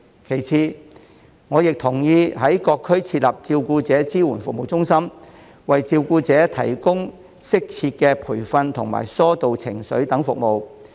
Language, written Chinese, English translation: Cantonese, 其次，我亦同意在各區設立照顧者支援服務中心，為照顧者提供適切培訓及疏導情緒等服務。, Besides I also agree with the setting up of carer support service centres in various districts to provide carers with appropriate training and services such as emotional relief